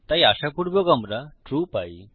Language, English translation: Bengali, So hopefully we get true